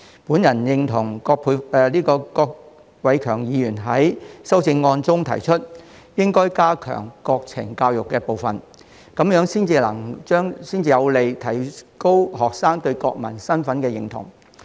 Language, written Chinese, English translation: Cantonese, 我認同郭偉强議員在修正案中提出，應該加強國情教育的部分，這樣才有利提高學生對國民身份的認同。, I agree with Mr KWOK Wai - keungs proposal in his amendment that the part on National Education should be strengthened . This will help strengthen the sense of national identity among senior secondary students